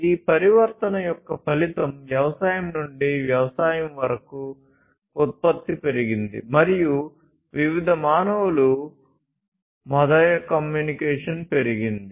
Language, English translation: Telugu, So, the result of this transformation from foraging to farming was that there was increased production, increased communication between different humans, and so on